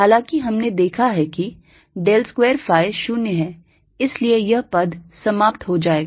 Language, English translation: Hindi, however, we have seen the del square, phi zero, so this terms drops out